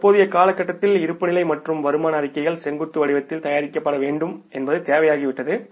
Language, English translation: Tamil, These days now it has become the statutory requirement also that the balance sheets or income statement should be prepared in the vertical format